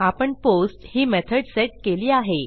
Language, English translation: Marathi, The method is set to POST